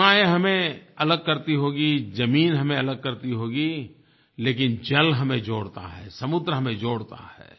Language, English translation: Hindi, Borders and land may be separating us, but water connects us, sea connects us